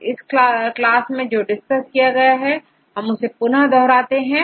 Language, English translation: Hindi, So, in summarize, what did we discuss in this class